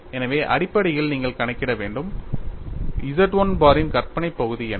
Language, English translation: Tamil, So, essentially you will have to calculate, what is the imaginary part of Z 1 bar